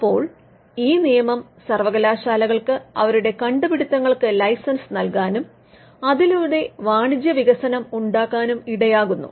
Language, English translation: Malayalam, Now, this act allowed universities to license their inventions and to commercially development